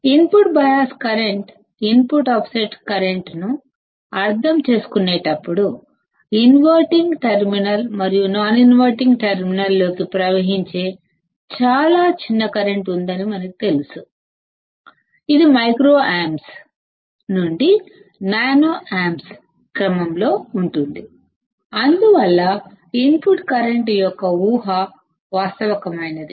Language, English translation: Telugu, While understanding input bias current,; input offset current, we knowsaw that there is a very small current that flows into the inverting and non inverting terminals; which is in the order of microamps to nanoamps, hence the assumption of 0 input current is realistic